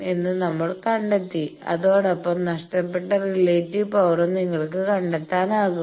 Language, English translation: Malayalam, That we have found and then you can find the relative power lost